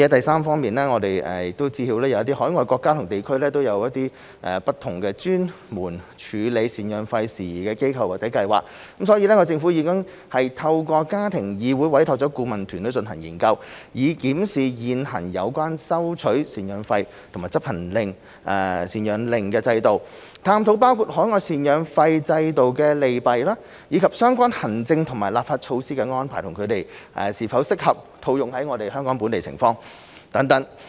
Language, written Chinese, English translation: Cantonese, 三我們知悉有一些海外國家或地區設有專門處理贍養費的事宜的機構或計劃，因此政府已透過家庭議會委託了顧問團隊進行研究，以檢視現行有關收取贍養費和執行贍養令的制度、探討包括海外贍養費制度的利弊及相關行政和立法措施的安排，以及它們是否適合套用於香港的情況等。, 3 We understand that specialized agencies or schemes are in place in some overseas countries or places to handle matters relating to maintenance payments . In this connection the Government has commissioned a research team through the Family Council to conduct a study to review the existing system of collection of maintenance payments and enforcement of maintenance orders examine the pros and cons of overseas systems relating to maintenance payments and their arrangements of administrative and legislative measures and analyse their applicability to Hong Kong etc